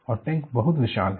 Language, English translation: Hindi, And the tank is so huge